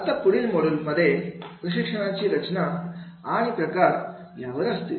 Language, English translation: Marathi, Now the further models are on the training design and types of training